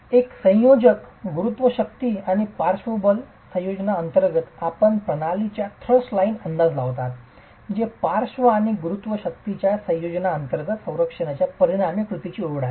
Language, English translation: Marathi, A combination under the combination of gravity forces and lateral forces you are estimating the thrust line of the system which is the line of the resultant of the structure under a combination of lateral and gravity forces